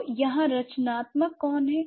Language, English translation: Hindi, So, who is creative here